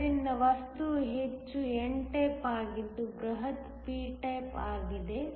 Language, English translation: Kannada, So, that the material is as much n type as the bulk is p type